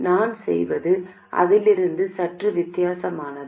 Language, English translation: Tamil, What I will do is slightly different from that